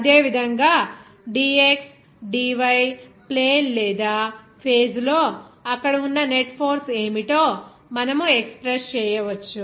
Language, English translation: Telugu, Similarly, in this dxdy plane or face, you can express what would be the net force over there